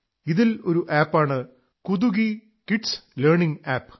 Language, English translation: Malayalam, Among these there is an App 'Kutuki Kids Learning app